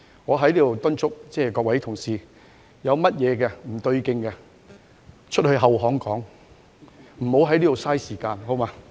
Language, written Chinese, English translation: Cantonese, 我在此敦促各位同事，如有事情不對勁，可以到後巷傾談，無需在此浪費時間，好嗎？, I hereby make an appeal to Members If they find anything disagreeable they may talk it out in a back alley instead of wasting our time here